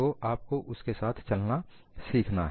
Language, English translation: Hindi, So, you have to learn to live with that